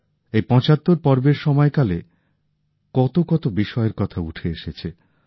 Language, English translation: Bengali, During these 75 episodes, one went through a multitude of subjects